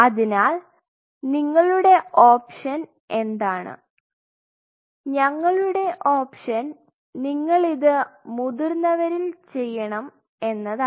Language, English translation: Malayalam, So, what are our options here is our option, you have to do this in adult